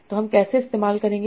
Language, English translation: Hindi, So how will that be used